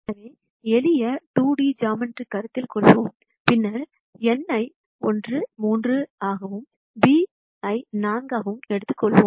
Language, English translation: Tamil, So, let us consider simple 2D geometry and then let us take n as 1 3 and b as 4